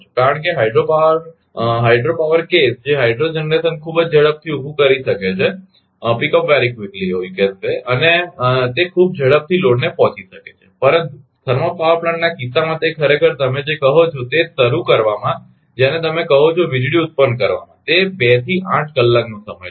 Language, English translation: Gujarati, ah Because hydro power hydro power case that hydro generation can pick up very quickly right and, it can meet the load very quickly, but in the case of thermal power plant it actually takes your what you call just to from the starting to your what you call generating power it may take 2 to 8 hours right